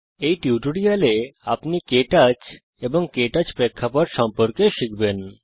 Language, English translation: Bengali, In this tutorial you will learn about KTouch and the KTouch interface